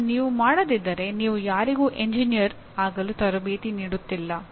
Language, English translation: Kannada, If you do not, you are not training somebody as an engineer